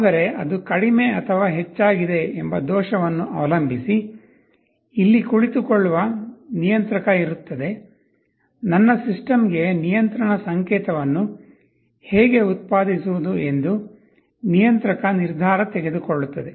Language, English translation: Kannada, But depending on the error whether it is less than or greater than, there will be a controller which will be sitting here, controller will take a decision that how to generate a control signal for my system